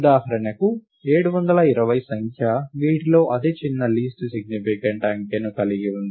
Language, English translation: Telugu, For example, the number 720 has the smallest least significant digit among these